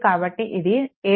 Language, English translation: Telugu, So, it will be 7